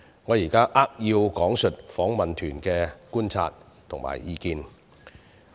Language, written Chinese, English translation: Cantonese, 我現在扼要講述訪問團的觀察及意見。, I would now like to highlight the key observations and views of the Delegation